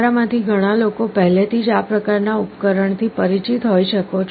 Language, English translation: Gujarati, Many of you may already be familiar with this kind of device